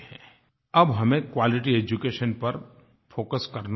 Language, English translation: Hindi, Now we will have to focus on quality education